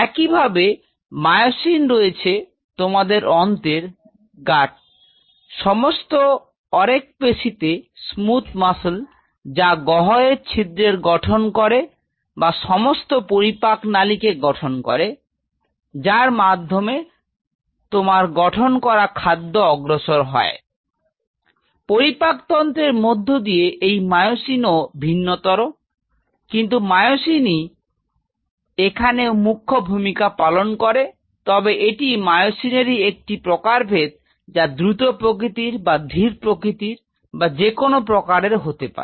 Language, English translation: Bengali, Similarly, there are myosin’s in your gut the whole smooth muscles which is lining the hole or which is forming in the hole alimentary canal, where you are eating the food and the food is moving through a moment across the digestive system, those myosin’s are different, but it is that myosin critically acting does play a role, but it is this myosin sub types, which dictates say type whatever fast type slow type whatever